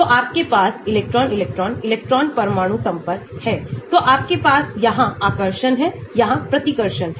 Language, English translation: Hindi, so you have electron electron, electron nuclear interaction, so you may have here attractions, here repulsions